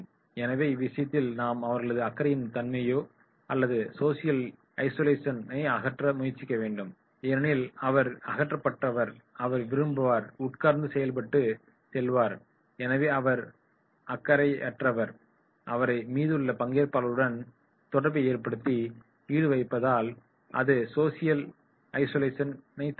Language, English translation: Tamil, So therefore, in that case we have to remove his misconception or social isolation because he is disinterested, he is coming, sitting and going so therefore he is disinterested, getting involved with rest of the trainees and that will be avoid social isolation